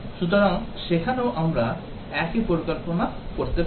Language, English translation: Bengali, So, there also we might do similar planning